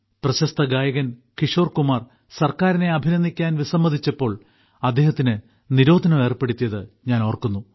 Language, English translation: Malayalam, I remember when famous singer Kishore Kumar refused to applaud the government, he was banned